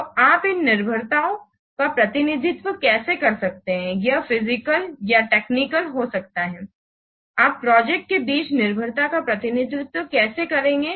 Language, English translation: Hindi, So this dependency diagram can be used to represent the physical and the technical dependencies between the different projects